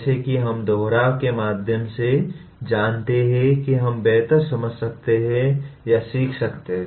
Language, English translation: Hindi, As we know through repetition we can understand or learn better